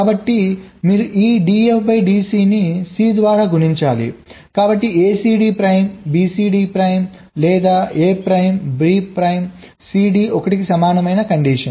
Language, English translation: Telugu, so you multiply this d f d c by c, so the condition is: a c d prime, b c d prime, or a prime b prime c d equal to one